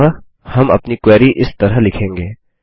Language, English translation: Hindi, And so we will write our query as